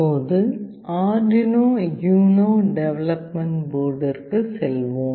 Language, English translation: Tamil, Let us now move on to Arduino UNO development board